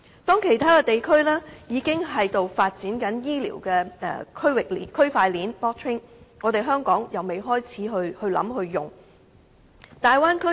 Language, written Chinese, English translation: Cantonese, 當其他地區已經在發展醫療的區塊鏈時，香港卻仍未開始考慮和使用。, When other regions are developing blockchain technology in health care in Hong Kong no thought has ever been given to it nor has it been applied